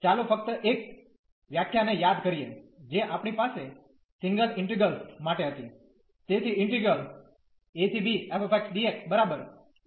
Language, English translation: Gujarati, Let us just recall the definition, what we had for the single integrals